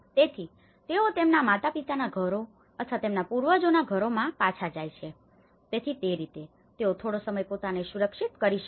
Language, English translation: Gujarati, So, they go back to their parental homes or their ancestral homes, so in that way, they could able to be secured themselves for some time